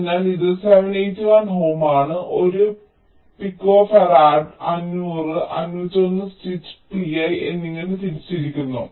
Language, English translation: Malayalam, so this is seven, eighty one ohm and one picofarad, is split into five hundred and five hundred one stitch pi